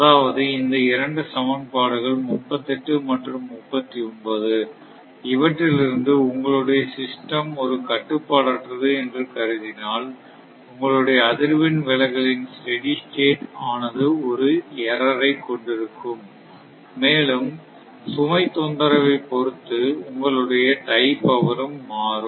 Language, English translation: Tamil, So, that means, these two equations 38 and 39, it suggest that if your system will uncontrolled then there will be an error in your steady state error of frequency deviation as well as you tie power deviation following a load disturbance, right